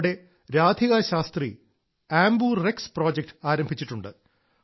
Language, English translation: Malayalam, Here Radhika Shastriji has started the AmbuRx Amburex Project